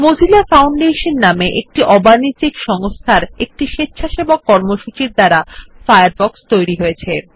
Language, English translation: Bengali, Firefox has been developed by volunteer programmers at the Mozilla Foundation, a non profit organization